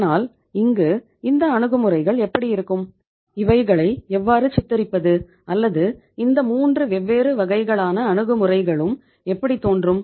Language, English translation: Tamil, So now in this case how these approaches will be or how they can be depicted or how these approaches will be looking like we will be talking about the different 3 approaches